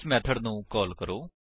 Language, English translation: Punjabi, Let us call this method